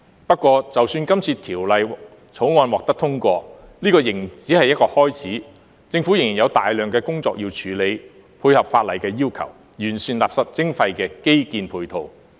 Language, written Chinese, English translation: Cantonese, 不過，就算這次《條例草案》獲得通過，仍只是一個開始，政府仍然有大量工作要處理，配合法例的要求，完善垃圾徵費的基建配套。, However even if this Bill is passed it is just the beginning . The Government still has a lot of work to do to meet the requirements of the legislation and improve the infrastructural facilities for waste charging